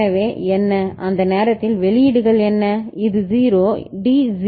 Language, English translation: Tamil, So, what is the what are the outputs at that time this was 0, D was 0 ok